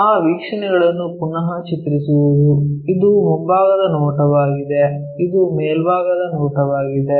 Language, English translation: Kannada, Redrawing that views; this is the front view, this is the top view